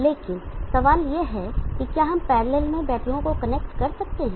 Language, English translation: Hindi, But can we connect batteries in parallel is the question